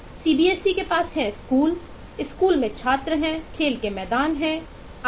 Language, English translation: Hindi, shco, cbse has schools, schools has students, play grounds and so on